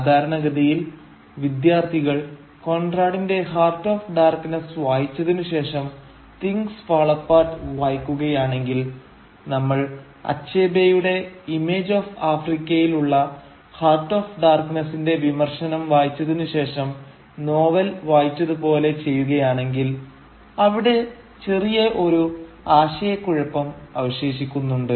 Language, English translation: Malayalam, Now usually when students read Things Fall Apart, especially after reading Conrad’s Heart of Darkness, like we have done and after reading Achebe’s criticism of Heart of Darkness, in his essay “The Image of Africa”, they are left with a slight confusion